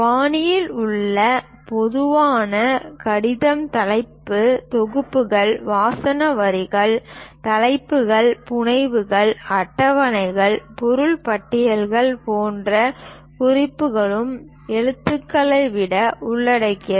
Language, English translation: Tamil, The typical letter in style involves for writing it for title blocks, subtitles, headings, notes such as legends, schedules, material list